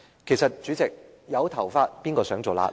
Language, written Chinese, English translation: Cantonese, 其實，主席，有頭髮誰想做瘌痢？, In fact President no one wanted to be bald if they had a choice